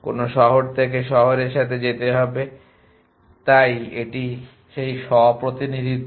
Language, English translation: Bengali, from which city to go to with city an so an this is that self representation